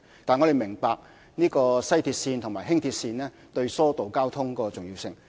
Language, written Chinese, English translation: Cantonese, 但是，我們明白西鐵線及輕鐵對疏導交通的重要性。, But we appreciate the importance of WRL and LR to easing traffic congestion